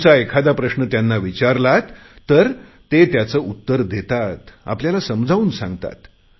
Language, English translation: Marathi, If you pose a question to them, they will reply to it; they will explain things to you